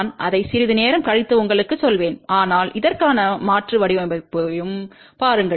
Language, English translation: Tamil, I will tell you that little later on , but let us just look at the alternate design for this also